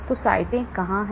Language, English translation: Hindi, So, where are the sites